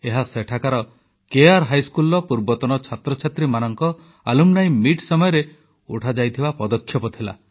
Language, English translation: Odia, This was a step taken as part of an Alumni Meet organized by former students of the local K